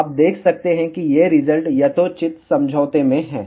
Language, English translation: Hindi, You can see that, these results are in reasonably good agreement